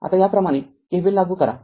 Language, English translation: Marathi, Now we apply you apply KVL like this